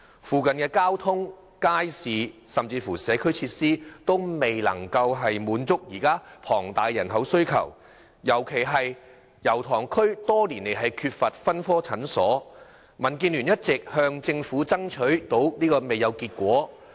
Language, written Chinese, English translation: Cantonese, 附近交通、街市，以至社區設施都未能滿足龐大的人口需求，特別是區內多年來缺乏分科診所，民建聯一直向政府爭取不果。, The transport market and community facilities in the vicinity will fall short of the demand of the huge population . In particular there has been a lack of polyclinics in the district for years . DAB has all along tried to ask the Government to provide this facility but to no avail